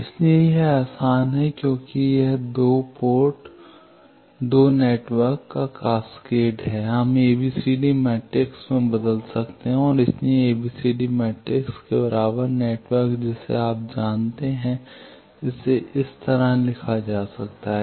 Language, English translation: Hindi, So, it is easier since this is cascade of 2 networks, we can convert to ABCD matrix and so ABCD matrix of equivalent network you know this can be written like this